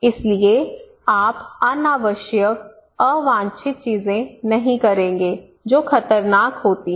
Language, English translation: Hindi, So you would not do unnecessary unwanted things that cause dangerous